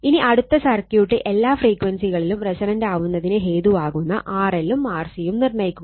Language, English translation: Malayalam, Now, next one is determine your determine R L and R C for this circuit R L and R C which causes the circuit to be resonance at all frequencies right